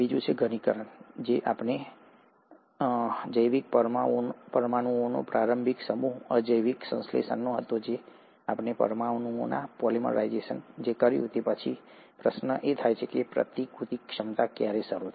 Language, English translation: Gujarati, So, we do know, or we do now believe that yes, the initial set of biological molecules were from abiotic synthesis, then you ended up having polymerization of these molecules, and then the question is, ‘When did the replicative ability begin’